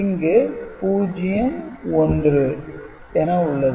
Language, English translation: Tamil, So, that gives you 0 1 2 3